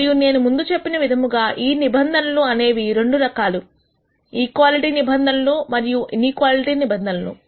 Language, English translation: Telugu, And as I mentioned before these constraints could be of two types, equality constraints and inequality constraints